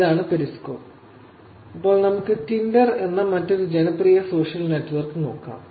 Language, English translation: Malayalam, So, that periscope and now let us look at other popular social network which is Tinder